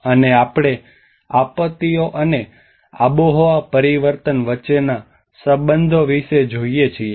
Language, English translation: Gujarati, And we see about the relationship between disasters and climate change